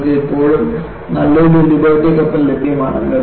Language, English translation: Malayalam, You still have a nice Liberty ship available